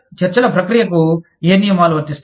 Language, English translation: Telugu, What rules will apply, to the process of negotiations